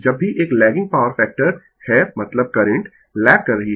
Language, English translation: Hindi, Whenever is a lagging power factor means, the current is lagging right